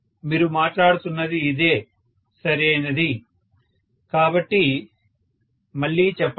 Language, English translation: Telugu, This is what you are talking about, right, so come on again